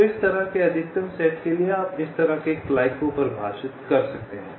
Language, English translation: Hindi, so for every such maximum set you can define such a clique